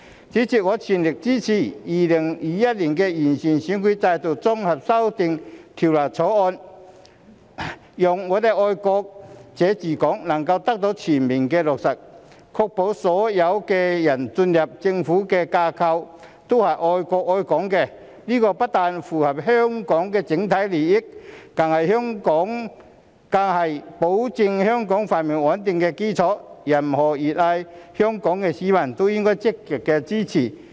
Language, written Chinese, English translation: Cantonese, 主席，我全力支持《2021年完善選舉制度條例草案》，讓"愛國者治港"能夠得到全面落實，確保所有進入政府架構的人，均是愛國愛港的，這不但符合香港的整體利益，更是保障香港繁榮穩定的基礎，任何熱愛香港的市民也應積極支持。, President I fully support the Improving Electoral System Bill 2021 the Bill so that the patriots administering Hong Kong principle can be fully implemented to ensure that all people joining the Government must be those who love our country and Hong Kong . This is compatible with the overall interests of Hong Kong and is also the foundation for safeguarding the prosperity and stability of Hong Kong . Every citizen who loves Hong Kong should also support the Bill proactively